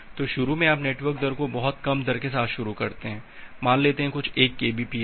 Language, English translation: Hindi, So, initially you start network rate with a very low rate say some 1 kbps